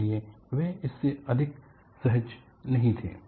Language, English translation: Hindi, So, they were quite not comfortable with it